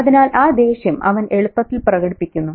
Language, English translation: Malayalam, So that anger is easily expressed